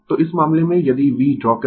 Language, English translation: Hindi, So, in this case, if you draw V